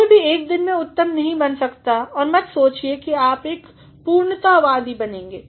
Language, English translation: Hindi, No one can be perfect in one day and do not think that you will be a perfectionist